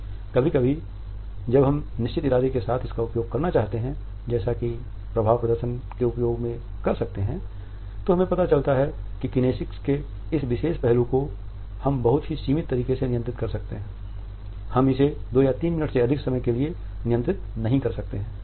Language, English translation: Hindi, Sometimes when we want to use it with certain intention as we might do in our use of affect displays this particular aspect of kinesics we find that we can control it in a very limited manner, we cannot control it for more than 2 minutes or maximum 3 minutes